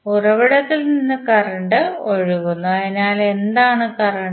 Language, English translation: Malayalam, Current is flowing from the source, so what is the current